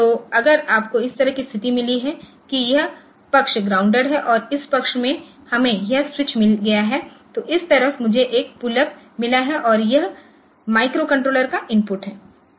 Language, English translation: Hindi, So, if you have got a situation like this that this side is say grounded and this side we have got this switch and this side I have got a pull up and this is the input to the micro controller